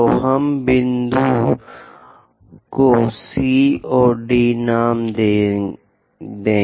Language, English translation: Hindi, So, let us name this point C and D